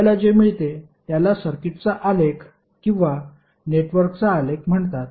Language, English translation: Marathi, So what we get is called the graph of the circuit or graph of the network